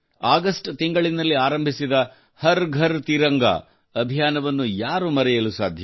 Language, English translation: Kannada, Who can forget the 'Har GharTiranga' campaign organised in the month of August